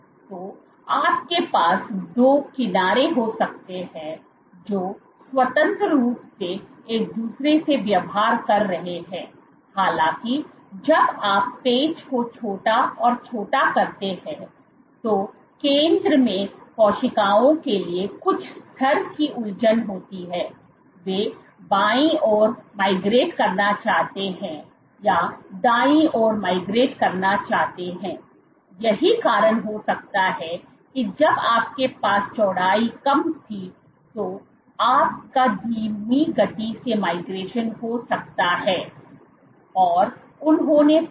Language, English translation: Hindi, So, you have that you can have these two edges which are behaving independently of each other; however, when you make the patches smaller and smaller there is some level of confusion for cells at the center whether they want to migrate left or migrate right, that might be the cause why you have a slower migration when the width was smaller what they also found